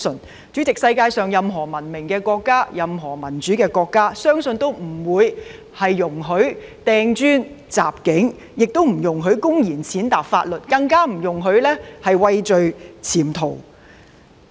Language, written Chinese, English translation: Cantonese, 主席，我相信世界上任何文明國家或民主國家均不會容許掟磚和襲警，亦不會容許公然踐踏法律，更會不容許疑犯畏罪潛逃。, President I believe that in no civilized or democratic countries will acts of hurling bricks and assaulting police officers be tolerated and neither will the blatant violations of law nor the absconding of suspects in fear of punishment be allowed